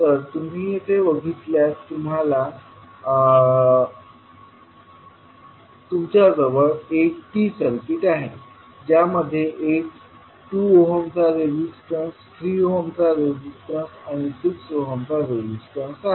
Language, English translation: Marathi, So here if you see you have the T circuit which has one 2 ohm resistance, 3 ohm resistance and 6 ohm resistance